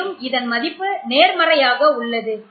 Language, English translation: Tamil, So the value is less positive